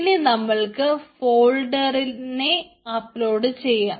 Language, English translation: Malayalam, no, i will upload the folders